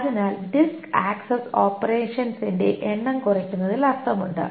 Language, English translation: Malayalam, So it makes sense to reduce the number of disk access operations